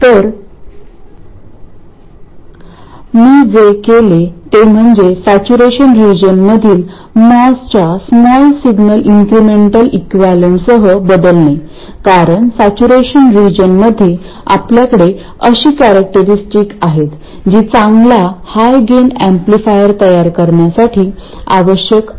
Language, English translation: Marathi, So, what I have done is to replace this with the small signal incremental equivalent of moss in saturation region, because in saturation region we have the characteristics which are desirable to make a good high gain amplifier